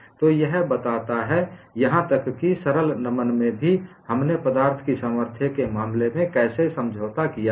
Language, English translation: Hindi, So, this explains, even in simple bending, how we have compromised in the case of strength of materials